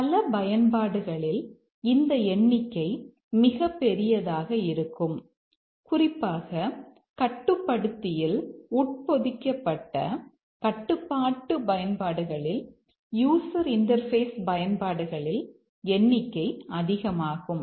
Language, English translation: Tamil, But then this can be huge because in many applications especially in the controller embedded control applications in user interfaces etc